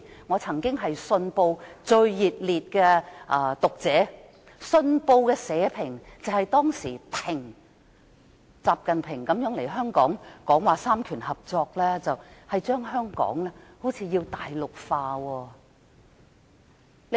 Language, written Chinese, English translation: Cantonese, 我曾是《信報》的忠實讀者，《信報》當時的社評表示，習近平來港談及三權合作，似乎想把香港大陸化。, I was once a dedicated reader of the Hong Kong Economic Journal . At that time its editorial said that it seemed XI Jinping who talked about cooperation of powers during his visit to Hong Kong wanted to Mainlandize Hong Kong